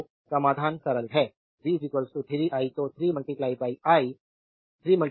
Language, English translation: Hindi, So, solution is simple v is equal to 3 I so, 3 into 4 cross 100 pi t